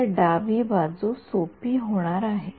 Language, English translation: Marathi, So, the left hand side is going to be easy